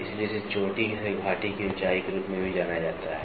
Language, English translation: Hindi, So, it is also referred as peak to valley height